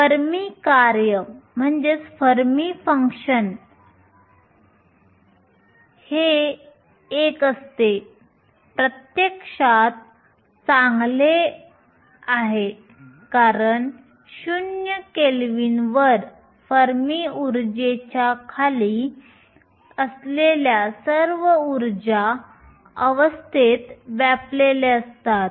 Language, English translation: Marathi, The Fermi function is nothing but 1 this make sense physically is well because at 0 kelvin all the energy states below the Fermi energy are occupied